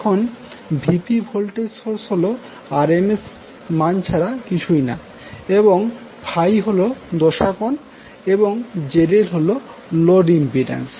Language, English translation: Bengali, Now, here VP is nothing but the RMS magnitude of the source voltage and phi is the phase angle and Zl is the load impedance